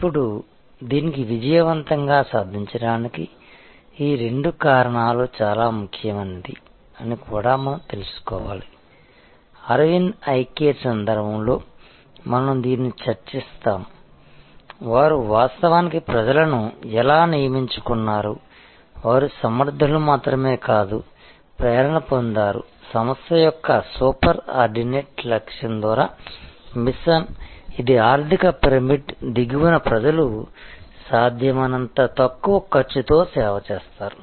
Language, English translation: Telugu, Now, to achieve this successfully, we have to also know that these two factors are very important, we discuss this in the context of the Aravind Eye Care, that how they actually recruit people, who are not only competent, but also are inspired by the mission by the super ordinate goal of the organization, which is to serve people at the bottom of the economic pyramid at the lowest possible cost